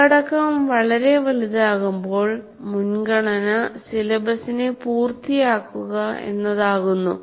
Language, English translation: Malayalam, So when the content is too large, the priority becomes how to cover the syllabus